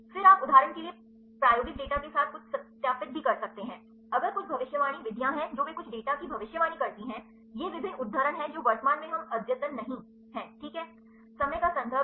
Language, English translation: Hindi, Then you can also get some a verify with the experimental data for example, if there are some prediction methods they predict some data, these are the various citation currently we are not updated is ok